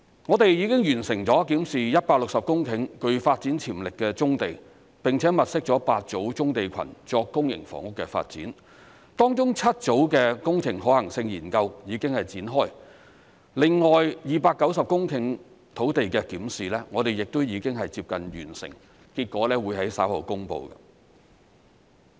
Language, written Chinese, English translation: Cantonese, 我們已經完成了檢視160公頃具發展潛力的棕地，並且物色了8組棕地群作公營房屋的發展，當中7組的工程可行性研究已經展開；另外290公頃土地的檢視我們亦已接近完成，結果會在稍後公布。, We have completed reviewing 160 hectares of brownfield sites with development potential and identified eight clusters of brownfield sites for public housing development of which the engineering feasibility studies for seven clusters have already been commenced . The review of another 290 hectares of land is close to completion and the result will be announced shortly